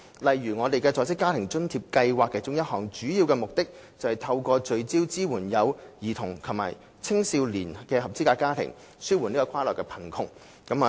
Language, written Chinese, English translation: Cantonese, 例如，在職家庭津貼計劃其中一個主要目的，是透過聚焦支援有兒童及青少年的合資格家庭，紓緩跨代貧窮。, One example is the Working Family Allowance Scheme . One of its main objectives is to alleviate cross - generational poverty through focused support for eligible families with children and young people